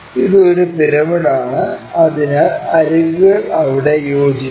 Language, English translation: Malayalam, It is a pyramid, so edges will coincide there